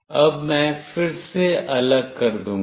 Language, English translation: Hindi, Now, I will again disconnect